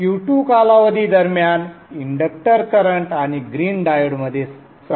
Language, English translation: Marathi, During the time, Q2 period, inductor current and the green diode will be having the same current